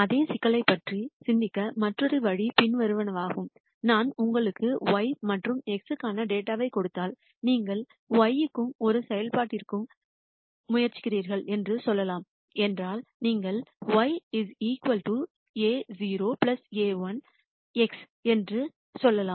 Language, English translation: Tamil, Another way to think about the same problem is the following, if I give you data for y and x and let us say you are trying to t a function between y and So, you might say y equal to a naught plus a 1 x